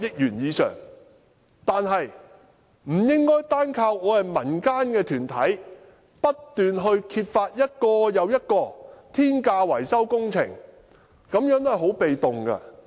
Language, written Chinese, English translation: Cantonese, 然而，政府不應單靠我們民間團體不斷揭發一項又一項天價維修工程，這樣是很被動的。, However the Government should not solely rely on us community groups to expose maintenance projects with astronomical prices one after another . This is very passive